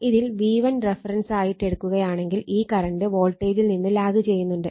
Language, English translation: Malayalam, If you take your V1 as a reference so, this current actually lagging from your what you call the voltage